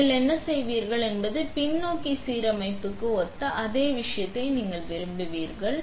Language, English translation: Tamil, So, what would you do is you want to the same thing as a similar to backside alignment